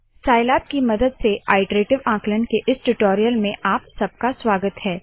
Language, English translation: Hindi, Welcome to the spoken tutorial on iterative calculations using Scilab